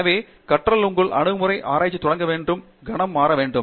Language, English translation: Tamil, So, your attitude of learning has to change the moment you want to start on research